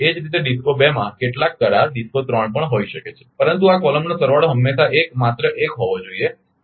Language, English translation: Gujarati, Similarly DISCO 2 may have also some contract DISCO 3, but this column summation should be always 1 just 1 I showed you another 1 is there here right